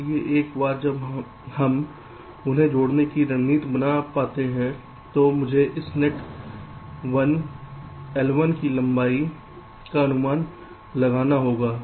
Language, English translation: Hindi, so once we find out a strategy of connecting them, i have to estimate the length of this net, one l one